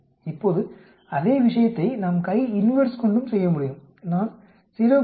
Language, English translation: Tamil, Now same thing we can do by CHI INVERSE also, I will say 0